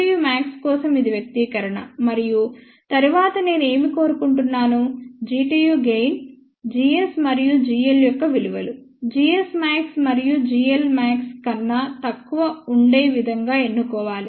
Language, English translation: Telugu, This was the expression for G tu max and then, I had mentioned that what desire G tu gain, the values of g s and g l should be chosen such a way that they are less than g s max and g l max respectively